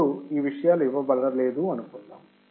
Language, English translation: Telugu, Now, suppose these things are not given